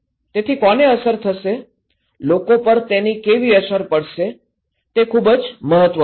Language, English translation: Gujarati, So, who will be impacted, how will be impacted is very important for people